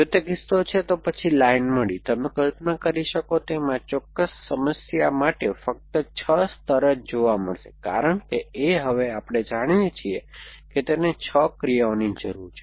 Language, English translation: Gujarati, If that is a case, then found up line, imagine as you can imagine this will be found only in the 6 layer, for this particular problem because A we know by now that it need 6 actions